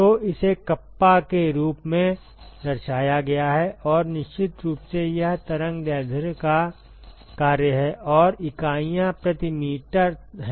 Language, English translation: Hindi, So, it is represented as kappa and of course, it is the function of the wavelength and the units are per meter